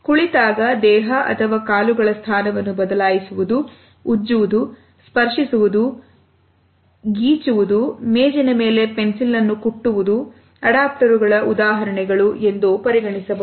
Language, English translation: Kannada, Shifting body or feet position when seated, rubbing, touching, scratching, picking oneself, scratching, tapping of a pencil on the table, can be considered as examples of adaptors